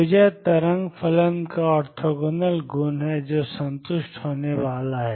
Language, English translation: Hindi, So, this is the orthogonal property of wave function which is going to be satisfied